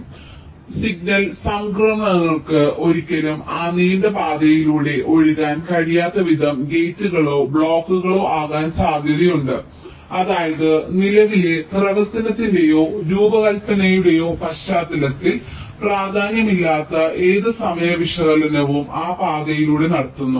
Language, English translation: Malayalam, so it is possible that the gates or the blocks are such that signal transitions can never flow through that long path, which means whatever timing analysis were carrying out on that path, that is not important in the context of the present functionality or the design